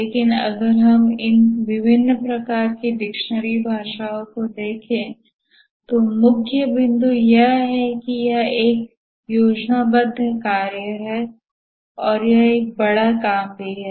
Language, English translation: Hindi, but if you look at these different types of dictionary definitions the key point are that it is a planned work and also it's a large work there are two key attributes a project